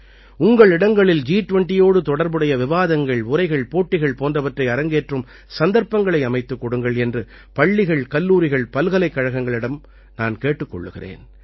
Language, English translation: Tamil, I would also urge schools, colleges and universities to create opportunities for discussions, debates and competitions related to G20 in their respective places